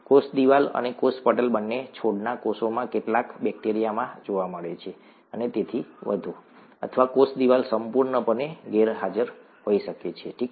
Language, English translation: Gujarati, The cell wall and the cell membrane both are found in some bacteria in plant cells and so on, or the cell wall could be completely absent, okay